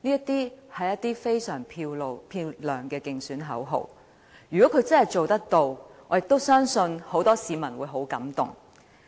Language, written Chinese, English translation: Cantonese, 這是非常漂亮的競選口號，如果他真的做得到，我也相信很多市民會十分感動。, How eloquent is this campaign slogan . I think many people will be deeply touched if he can really do that